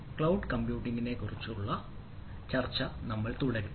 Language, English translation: Malayalam, so we will be continuing our discussion on cloud computing